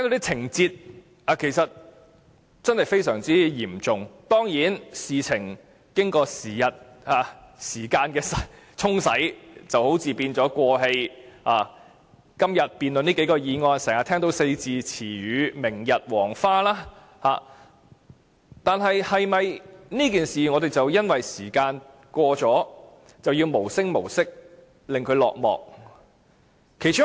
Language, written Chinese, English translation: Cantonese, 情節非常嚴重，但事情好像已是"過氣"，今天辯論這數項議案時，經常聽到"明日黃花"這個四字詞語，但我們是否因時間的過去，而讓事件無聲無息落幕？, The problems are very serious indeed but it seems that the incidents had already become history . In our debate on several motions today the expression a thing of the past has been mentioned time and again . Should we let this matter subside because of the passage of time?